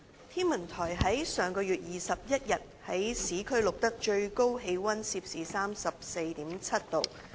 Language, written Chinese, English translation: Cantonese, 天文台於上月21日在市區錄得最高氣溫攝氏 34.7 度。, The Hong Kong Observatory recorded a highest temperature of 34.7 degrees Celsius in the urban areas on 21 of last month